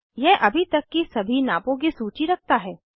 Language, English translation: Hindi, It has a list of all the measurements made so far